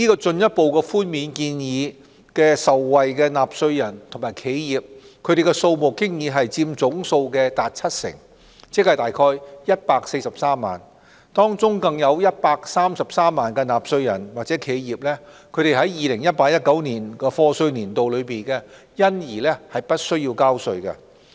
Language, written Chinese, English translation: Cantonese, 這項寬免建議的受惠納稅人和企業佔總數達七成，即約143萬。當中更有133萬納稅人或企業在 2018-2019 課稅年度因而不需交稅。, The tax reduction proposal will benefit 70 % or about 1.43 million of taxpayers and enterprises of which 1.33 million taxpayers and enterprises will have all taxes waived for the year of assessment 2018 - 2019